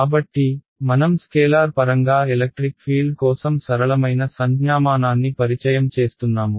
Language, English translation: Telugu, So, that is why I am introducing a simpler notation for the electric field in terms of scalar